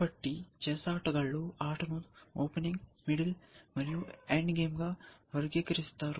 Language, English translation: Telugu, So, chess players tend to categorize the game into opening, middle and the end game